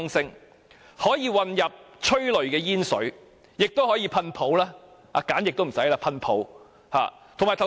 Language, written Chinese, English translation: Cantonese, 除可混入催淚煙水，亦可以噴泡沫，連皂液也可省掉。, Apart from mixing with liquid tear gas water cannons can also eject foam saving the provision of soap